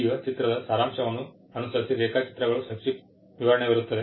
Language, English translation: Kannada, Now, following the summary of the image, there is a brief description of the drawings